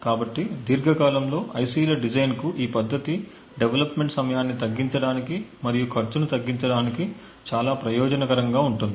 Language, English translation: Telugu, So, in the long run this methodology for designing ICs would be extremely beneficial to reduce development time as well as bring down cost